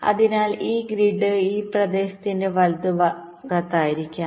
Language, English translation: Malayalam, so this grid will be local to that region, right